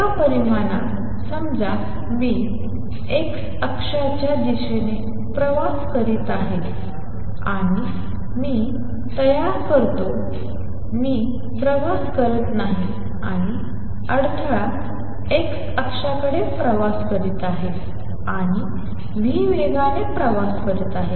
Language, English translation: Marathi, So, in one dimension suppose I am travelling towards the x axis and I create, I am not travelling the disturbance is traveling towards the x axis and travels with speed v